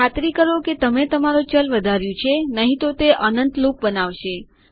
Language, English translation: Gujarati, Make sure that you do increment your variable otherwise it will loop for infinity